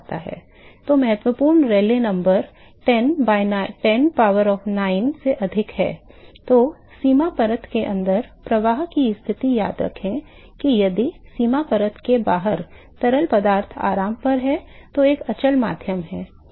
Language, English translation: Hindi, So, the critical Rayleigh number exceeds 10 power 9, then the flow conditions inside the boundary layer remember that if the flow conditions inside the boundary layer the fluid outside is still at rest is a quiescent medium is at rest